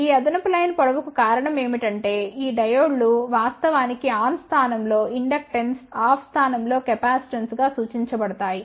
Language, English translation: Telugu, The reason for these additional line length is that these diodes will actually be represented as inductance in the on position, capacitance in the off position